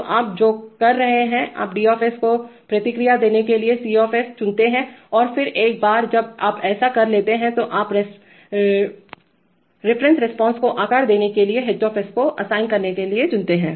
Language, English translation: Hindi, So what you are doing is, you choose C to assign a response to D0 and then once you have done that then you choose H to assign, to shape the reference response